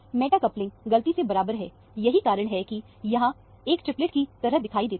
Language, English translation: Hindi, The meta couplings are accidentally equal; that is why, it looks like a triplet, here